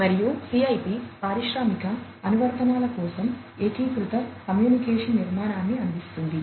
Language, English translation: Telugu, And, the CIP provides unified communication architecture for industrial applications